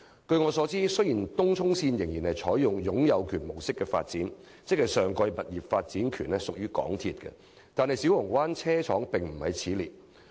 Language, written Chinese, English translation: Cantonese, 據我所知，雖然東涌線仍採用擁有權模式發展，即上蓋物業的發展權屬港鐵公司所有，但小蠔灣車廠不在此列。, To my knowledge although the development of the Tung Chung Line is implemented under the ownership approach and the property development rights on top of the stations are granted to MTRCL the Siu Ho Wan Depot Site is an exception